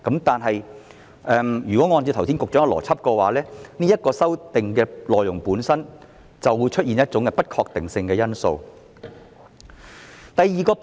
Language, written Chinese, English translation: Cantonese, 但是，按照局長剛才的邏輯，這項修訂的內容本身就會出現一種不確定性因素。, However under the logic just explained by the Secretary this amendment itself contains some uncertainties